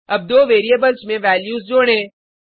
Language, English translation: Hindi, Now let us add the values in the two variables